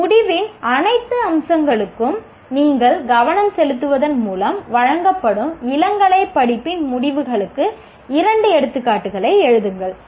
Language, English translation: Tamil, Write two examples of outcomes of an undergraduate course offered by you paying attention to all the features of an outcome